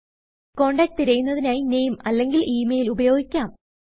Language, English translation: Malayalam, We can search for a contact using the Name or the By Email